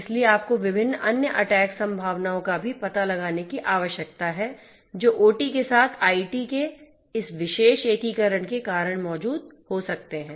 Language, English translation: Hindi, So, you need to also find out the different other attack possibilities that might exist due to this particular integration of IT with OT